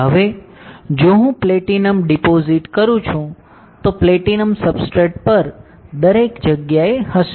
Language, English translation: Gujarati, Now, if I deposit platinum, platinum will be everywhere on the substrate